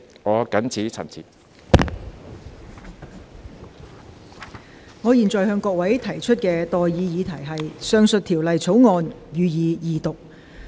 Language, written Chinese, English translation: Cantonese, 我現在向各位提出的待議議題是：《汞管制條例草案》，予以二讀。, I now propose the question to you and that is That the Mercury Control Bill be read the Second time